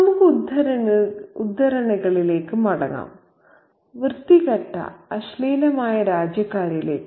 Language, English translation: Malayalam, Let's go back to the excerpt, dirty vulgar countrymen